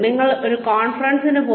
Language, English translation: Malayalam, You went on a conference